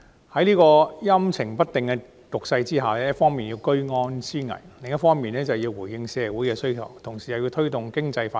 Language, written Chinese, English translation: Cantonese, 在這個陰晴不定的局勢下，財政司司長既要居安思危，也要回應社會的需要，同時又要推動經濟發展。, Under such volatile circumstances the Financial Secretary has had not only to remain vigilant but also respond to social needs and promote economic development